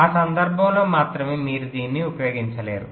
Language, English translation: Telugu, only in that case you will not be using this